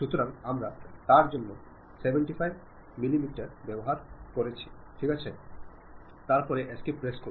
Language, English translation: Bengali, So, for that we are using 75 millimeters OK, then press escape